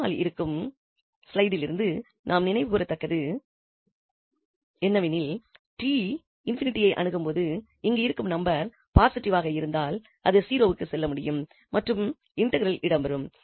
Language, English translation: Tamil, And recalling from the previous slide so if this number here is positive then when t approaches to infinity this can go to 0 and the integral will exists